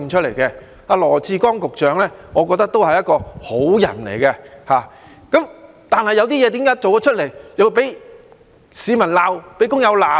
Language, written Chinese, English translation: Cantonese, 我覺得羅致光局長是一個好人，但為何他做了一些事情又會被市民、工友責備呢？, I feel that Secretary Dr LAW Chi - kwong is a good man but why did members of the public and workers reproach him for what he has done?